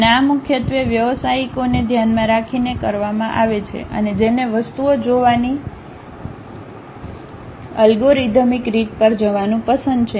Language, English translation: Gujarati, And this is mainly aimed at professionals, and who love to go for algorithmic way of looking at the things